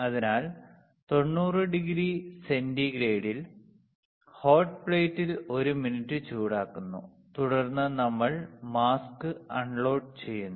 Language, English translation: Malayalam, So, 90 degree centigrade, 1 minute on hot plate correct, then we use mask we load the mask load the mask